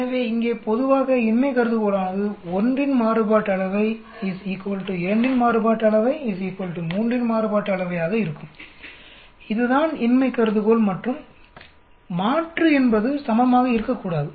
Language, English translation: Tamil, So here generally null hypothesis will be variance from 1 is equal to the variance of 2 equal to variance of 3 that is the null hypothesis and the alternate will be not equal to